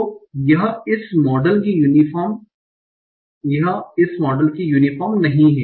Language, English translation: Hindi, So, this is not as uniform as this model